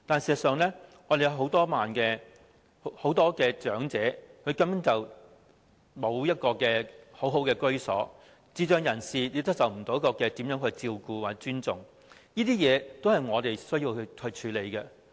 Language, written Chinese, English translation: Cantonese, 事實上，很多長者根本沒有良好的居所，智障人士亦沒有受到照顧和尊重，這些都是我們需要處理的。, As a matter of fact many elderly people do not have a decent dwelling place . Persons with intellectual disabilities are not being looked after or respected . This is something we need to deal with